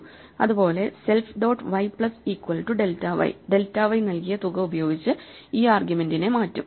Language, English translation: Malayalam, Similarly, self dot y plus equal to delta y will shift the argument by the amount provided by delta y